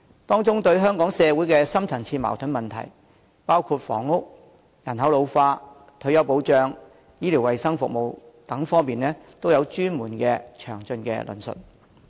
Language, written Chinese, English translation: Cantonese, 當中對香港社會的深層次矛盾問題，包括房屋、人口老化、退休保障和醫療衞生服務等各方面，都有專門和詳盡的論述。, Specialized and detailed discussions have been provided on problems caused by the deep - rooted conflicts in the society of Hong Kong in such areas as housing ageing population retirement protection health care services and so on